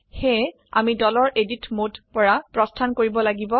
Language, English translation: Assamese, So we have to exit the Edit mode of the group